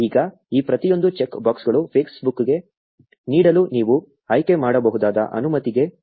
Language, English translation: Kannada, Now each of these check boxes corresponds to a permission that you may choose to grant to Facebook